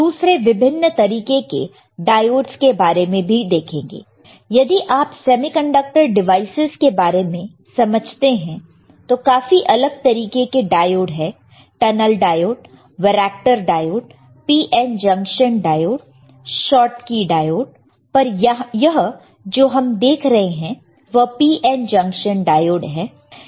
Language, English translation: Hindi, And we will also see several kind of diodes, if you if you really understand semiconductor devices then there are several kind of diodes tunnel diode, where vector diode 8 pn junction diode schottky diode so, but this is the PN junction diode